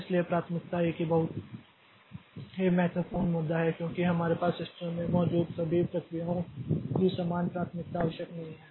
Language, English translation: Hindi, So, priority is a very important issue because all the processes that we have in a system say they need not have the same priority